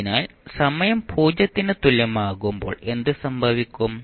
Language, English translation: Malayalam, So, what will happen at time t is equal to 0